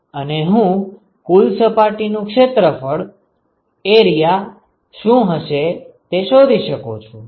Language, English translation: Gujarati, And I can find out what the area of the surface is total area of the surface